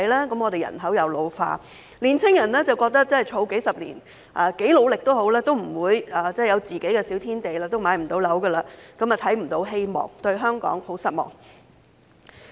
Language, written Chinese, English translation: Cantonese, 香港人口老化，但年青人即使儲蓄數十年，不管多努力也不會擁有自己的小天地，買樓不成，也看不到希望，更對香港十分失望。, The population of Hong Kong is ageing but even if young people save for decades and work extremely hard they cannot afford to buy a small place of their own to live . They can neither afford to buy property nor see hope and they are very disappointed with Hong Kong